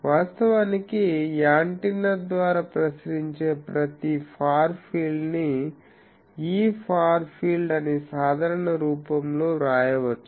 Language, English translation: Telugu, Actually, each of the far field radiated by antenna can be written in a general form that E far field far is